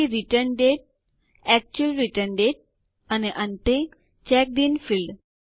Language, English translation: Gujarati, Next, the Return date,the actual return date And finally the checked in field